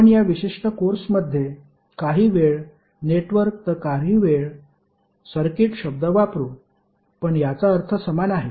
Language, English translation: Marathi, So we in this particular course also we will used some time network some time circuit, but that means the same thing